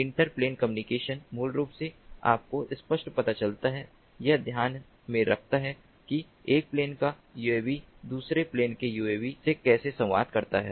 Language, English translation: Hindi, inter plane communication basically takes clear ah, you know, takes into account how the uav of one plane communicates with uav of another plane